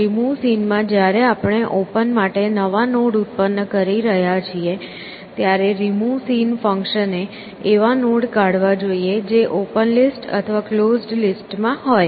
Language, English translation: Gujarati, So remove seen, when we are generating the new nodes for open, the remove seen function should remove things which are either in the open list or in the closed list